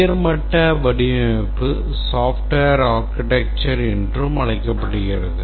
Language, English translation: Tamil, The high level design is also called as the software architecture